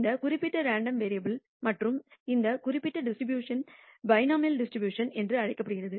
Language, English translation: Tamil, For this particular random variable and this particular distribution is called a binomial distribution